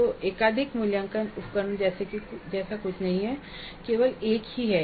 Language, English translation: Hindi, So there is nothing like multiple assessment, there is only one